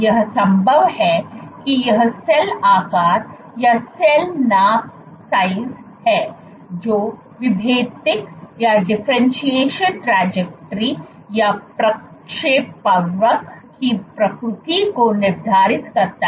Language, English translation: Hindi, It is possible that, it is this cell shape or cell size which determines the nature of the differentiation trajectory